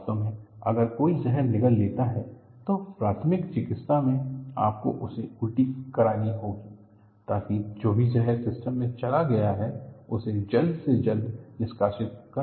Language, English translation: Hindi, In fact, if somebody gulps a poison, one of the first aid is, you have to make him vomit, so that, whatever that the poison that has gone into the system, that should be expelled as quickly as possible